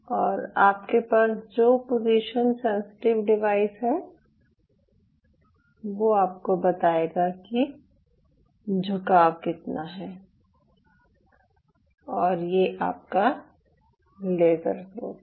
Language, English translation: Hindi, so now you have a position sensitive device which will tell you what is the bend and this is your laser source